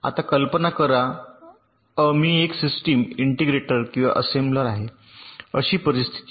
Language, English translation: Marathi, now imagine a scenario that i am ah system integrator or an assembler